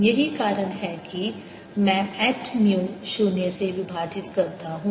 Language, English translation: Hindi, that's why i divided by h ah, mu zero